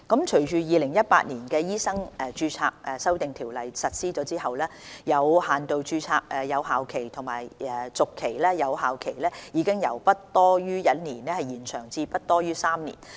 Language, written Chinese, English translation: Cantonese, 隨着《2018年醫生註冊條例》實施後，有限度註冊的有效期和續期有效期已由不多於1年延長至不多於3年。, Following the implementation of the Medical Registration Amendment Ordinance 2018 the validity period and renewal period of limited registration have been extended from not exceeding one year to not exceeding three years